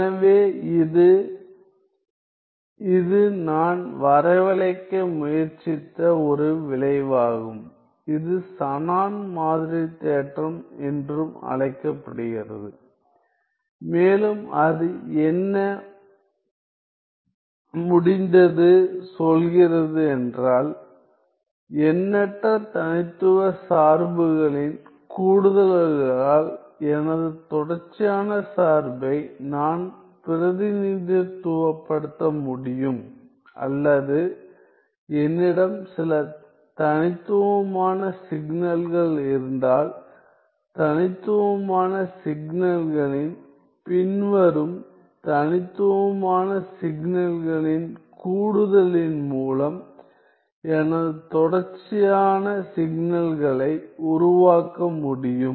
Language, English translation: Tamil, So, this is the; this is a result that I was trying to arrive at, also known as the Shannon sampling theorem and what it says is that, I can represent, I can represent my continuous function by an infinite sum of discrete functions or if I have some discrete signals, I can construct my continuous signal by the following summation of the discrete signals, that is the power of this theorem, the Shannon sampling theorem